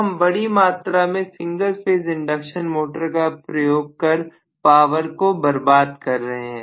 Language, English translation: Hindi, So we are really wasting a huge amount of power in single phase induction motor